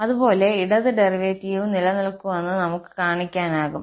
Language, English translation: Malayalam, And similarly, we can show that the left derivative also exists